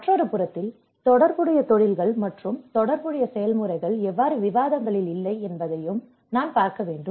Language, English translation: Tamil, On another side, I also have to see how the relevant processes are not on the table you know relevant professions are not in the discussions